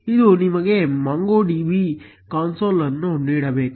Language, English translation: Kannada, It should give you MongoDB console